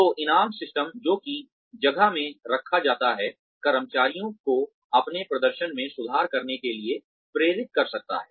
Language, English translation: Hindi, So, the reward systems, that are put in place, can further motivate employees, to improve their performance